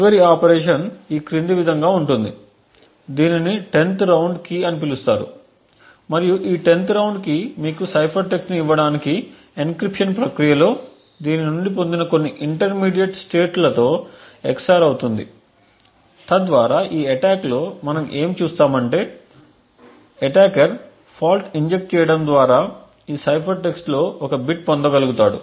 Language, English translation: Telugu, The last operation is as follows it has a key this is known as the 10th round key and this 10th round key is xored with some intermediate state obtained from this during the encryption process to give you the cipher text, so thus what we will see in this attack is the attacker would be able to get one bit of this cipher text by injecting a fault